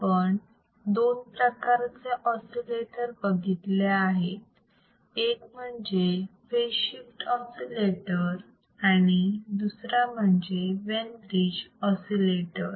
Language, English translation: Marathi, And we haveare seening two kinds of oscillators, one waiss your phase shift oscillator and another one was yourwas Wein bridge oscillator